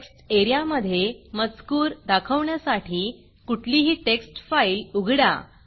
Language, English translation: Marathi, Open any text file to display its contents in the text area